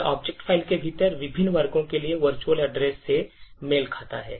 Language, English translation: Hindi, So, this corresponds to the virtual address for the various sections within the object file